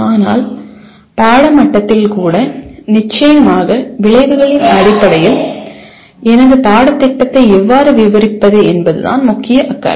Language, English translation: Tamil, But even at course level, our main concern will be how do I describe my course in terms of course outcomes